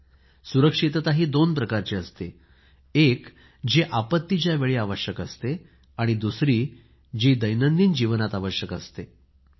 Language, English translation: Marathi, Safety is of two kinds one is safety during disasters and the other is safety in everyday life